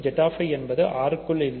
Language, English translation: Tamil, Remember Z[i] is not contained in R